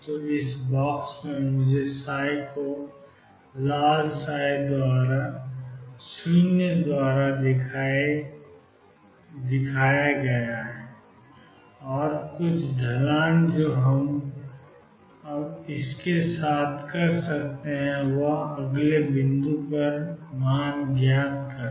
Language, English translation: Hindi, So, in this box, I have let me show psi by red psi equals 0 and some slope what we can do with this is find the value at the next point